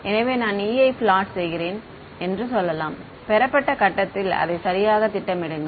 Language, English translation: Tamil, So, let us say I am plotting E at received point keep plotting it right